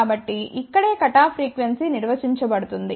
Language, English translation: Telugu, So, this is where the cutoff frequency is defined